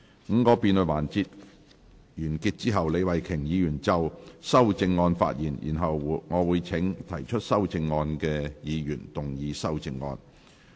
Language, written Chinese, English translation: Cantonese, 五個辯論環節完結後，李慧琼議員可就修正案發言，然後我會請提出修正案的議員動議修正案。, After the five debate sessions have ended Ms Starry LEE may speak on the amendments . I will then call upon movers of the amendments to move amendments